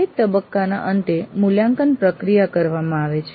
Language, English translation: Gujarati, So, at the end of every phase we do have an evaluate process taking place